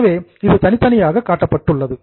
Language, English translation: Tamil, So, it is separately shown